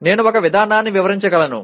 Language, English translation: Telugu, I can describe a procedure